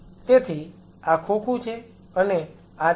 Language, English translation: Gujarati, So, this is the box and this is the